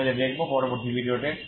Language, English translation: Bengali, So we will see that in this video